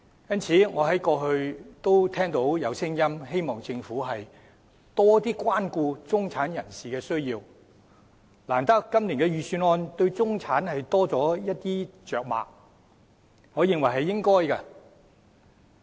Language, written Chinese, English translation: Cantonese, 因此，過去我聽到有聲音希望政府多關顧中產人士的需要，難得今年的預算案對中產着墨較多，我認為是應該的。, This is why I have heard voices calling on the Government to show more care for the needs of the middle - class people and as the Budget has quite rarely placed more emphasis on the middle class I think this is what the Government should do